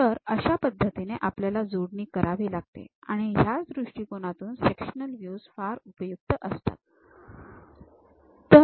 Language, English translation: Marathi, So, this is the way one has to make assembly; for that point of view the sectional views are very helpful